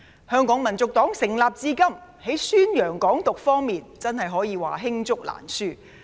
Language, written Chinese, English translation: Cantonese, 香港民族黨成立至今，在宣揚"港獨"方面的作為，真可謂罄竹難書。, Since its establishment HKNP has done numerous notorious deeds in publicizing Hong Kong independence